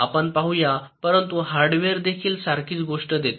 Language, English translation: Marathi, let us see, but, whether this hardware also generates the same thing